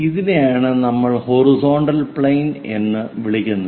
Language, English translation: Malayalam, This is what we call a horizontal plane